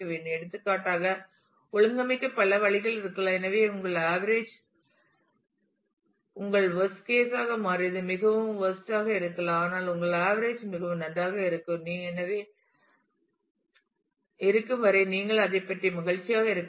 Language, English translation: Tamil, For example there could be several ways to organize; so, that your average become your worst case may be really really bad, but as long as your averages is very good you should be happy about it